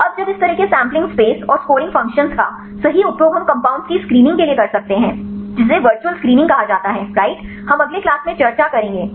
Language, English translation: Hindi, Now, when using these such sampling space and the scoring functions right we can use to screen the compounds, that is called virtual screening right we will discuss in the next class right